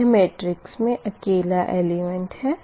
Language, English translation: Hindi, this is this symmetric matrix